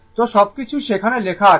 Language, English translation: Bengali, So, everything is written the